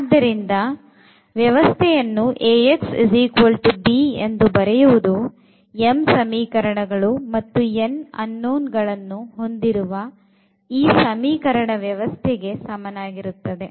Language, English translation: Kannada, So, this system writing in this A x is equal to b is equivalent to the given system of equations where, we have m equations and n unknowns in general we have considered here